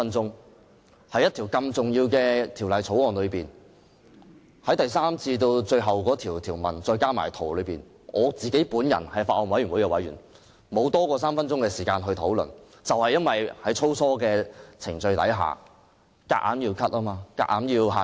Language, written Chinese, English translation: Cantonese, 作為法案委員會委員，由《條例草案》第3條至最後一項條文，我竟然只有不多於3分鐘的發言時間，這正是由於在粗疏的程序下，議員的發言時間被強行限制。, As a member of the Bills Committee I only had less than three minutes to speak on other clauses of the Bill from clause 3 onwards . The speaking time of Members had been forcibly restricted during the sloppy deliberation process